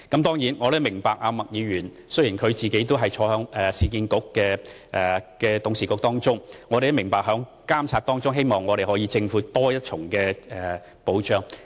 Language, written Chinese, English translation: Cantonese, 當然，我亦明白麥議員作為市建局的董事會成員擔當監察角色，亦希望政府可作出多一重保障。, I certainly understand Ms MAK being a URA Board member tasked with the monitoring role may wish the Government to provide additional assurance